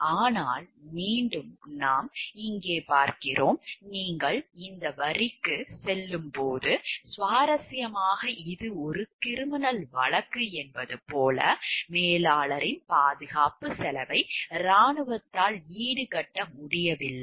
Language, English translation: Tamil, But again that we see over here, when you go for this line, like interestingly this was a criminal prosecution the army could not help defray the cost of the manager’s defense